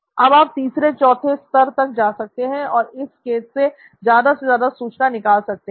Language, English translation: Hindi, Now you could go three levels, four levels and get more out of this case